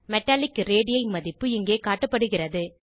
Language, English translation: Tamil, Metallic radii value is shown here